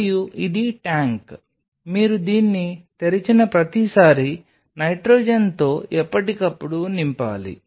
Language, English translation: Telugu, And this is a tank which has to be replenished time to time with the with nitrogen as your every time you are opening it